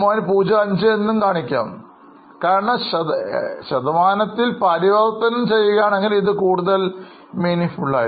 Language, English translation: Malayalam, 055 and if you convert it in percentage then it is more meaningful